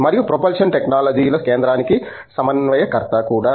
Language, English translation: Telugu, He is also the coordinator for the center for propulsion technologies